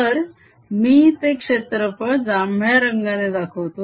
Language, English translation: Marathi, so i will just put that an area and purple